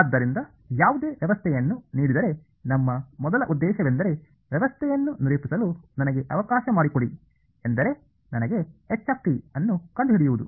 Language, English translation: Kannada, So, given any system our first objective is let me characterize a system means let me find out h